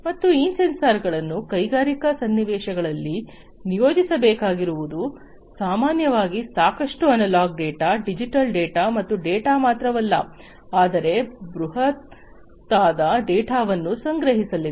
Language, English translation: Kannada, And these sensors want deployed in the industrial scenarios typically are going to collect lot of data, lot of analog data, lot of digital data and not only lot of data, but data, which are big in nature